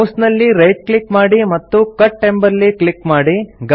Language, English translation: Kannada, Right click on the mouse and then click on the Cut option